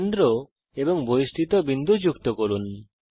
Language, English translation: Bengali, Join centre and external point